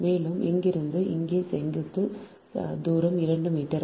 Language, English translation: Tamil, and from here to here vertical distance is two metre